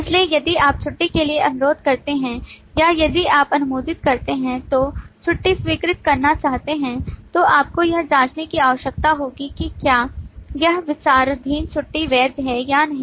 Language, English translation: Hindi, So if you request for a leave or if you approve want to approve a leave, then you will need to check if that leave under consideration is valid or not